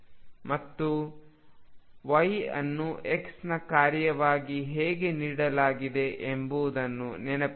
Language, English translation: Kannada, And remember how y is given as a function of x